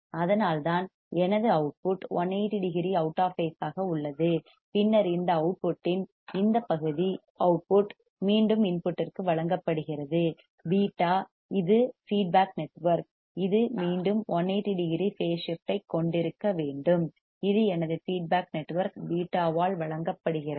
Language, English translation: Tamil, That is why my output is 180 degree out of phase and then this output part of this output is fed back to the input through beta which is feedback network it has to again have 180 degree phase shift which is provided by my feedback network beta